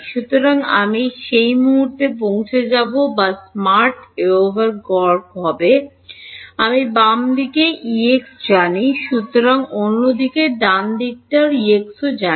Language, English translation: Bengali, So, I will get at that point also or the smart away would be average, I know E x on the left hand side I know E x on the other side right